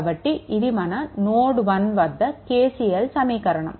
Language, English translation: Telugu, So, this is your what we call that is KCL at node 1